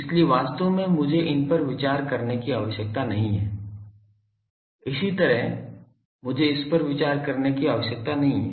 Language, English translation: Hindi, So, actually I need not consider these, similarly I need not consider this